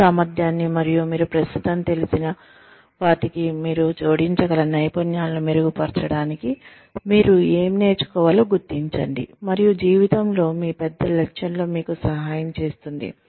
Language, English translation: Telugu, Identify, what you can learn, to improve your potential, and the skills, that you can add to, what you currently know, and help you in, your larger goal in life